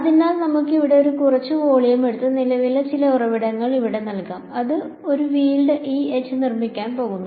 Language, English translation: Malayalam, So, let us take some volume over here and let us put some current source over here J and this is going to produce a field E comma H